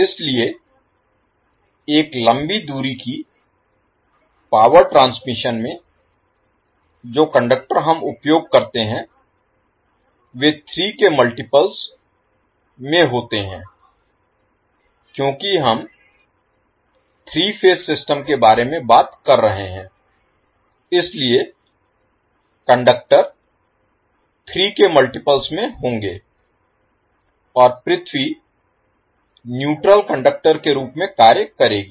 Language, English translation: Hindi, So in a long distance power transmission the conductors we use are in multiple of three because we are talking about the three phase system, so the conductors will be in multiple of three and R3 will act as neutral conductor